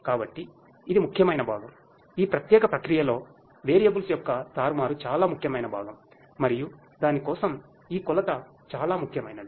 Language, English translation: Telugu, So, this is important part the manipulation of the variables is the most important part in this particular process and for that this measurement is very important